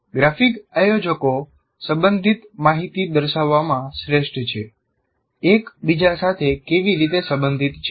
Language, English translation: Gujarati, And graphic organizers are best at showing the relational information, how one is related to the other